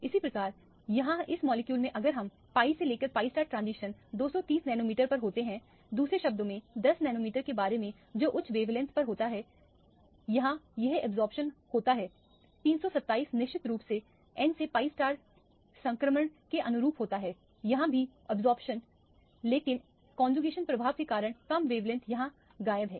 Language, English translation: Hindi, So, where as in this molecule if we look at the pi to pi star transition occurs at 230 nanometer, in other words about 10 nanometers at a higher wavelength is where it absorbs, 327 of course correspond to the n to pi star transition which is also absorbed here, but at a lower wavelength because of the conjugation effect is missing here